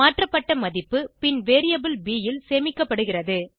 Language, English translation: Tamil, The converted value is then stored in the variable b